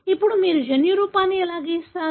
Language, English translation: Telugu, Now, how would you draw the genotype